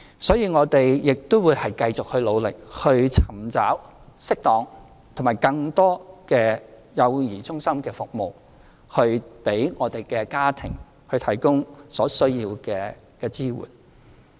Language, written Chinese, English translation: Cantonese, 所以，我們亦會繼續努力尋找適當和更多的幼兒中心服務，為家庭提供所需的支援。, Hence we will continue to work hard to identify suitable locations and offer more child care centre services to provide the support needed by families